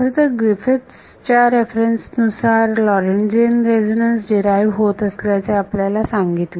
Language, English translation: Marathi, So, in fact, the Griffiths reference which I give you derives a Lorentzian resonance